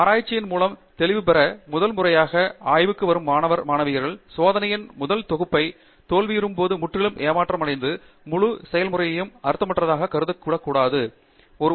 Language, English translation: Tamil, Typical undergraduate student going through research or attending the research for first time gets totally disheartened, when the first set of experiments fail, and it really looks like the whole process was pointless, the whole exercise was pointless